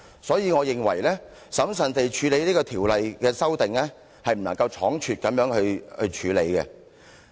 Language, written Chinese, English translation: Cantonese, 所以我認為應審慎處理這項《條例草案》，不能倉促。, As such I think we should handle the Bill cautiously without being hasty